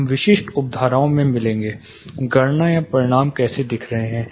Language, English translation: Hindi, We will get into the specific sub, how the calculations or you know results are looking like